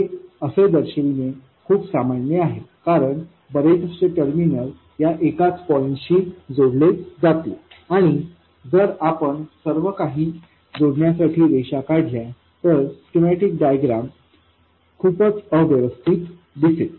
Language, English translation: Marathi, It's very common to show points like this because lots of terminals will be connected to this common point and the schematic diagram will look very messy if we draw lines connecting everything